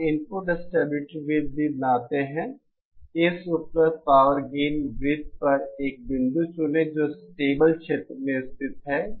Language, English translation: Hindi, You also draw the input stability circle, select a point on this available power gain circles that lies in the stable region